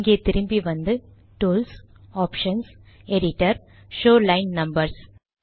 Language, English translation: Tamil, So lets come back here, tools, options, editor, show line numbers, okay